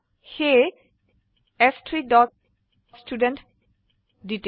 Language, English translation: Assamese, So s3 dot studentDetail